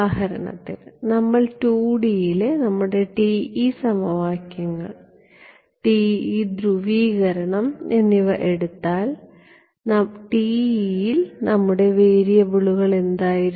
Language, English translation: Malayalam, So, if let us take for example, our TE equations TE polarization in 2D what were our variables in TE